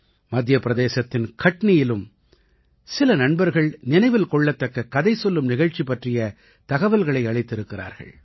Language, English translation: Tamil, Some friends from Katni, Madhya Pradesh have conveyed information on a memorable Dastangoi, storytelling programme